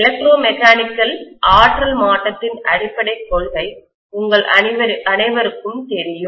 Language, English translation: Tamil, All of you know the basic principle of electromechanical energy conversion